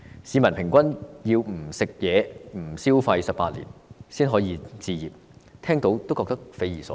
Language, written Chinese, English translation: Cantonese, 市民平均要不吃、不消費18年才能置業，聽到也感到匪夷所思。, On average people have to refrain from spending money on food and other items for 18 years before they can afford to buy a home